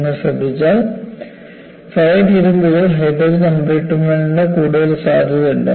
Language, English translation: Malayalam, And if you notice, ferritic ions are susceptible to hydrogen embrittlement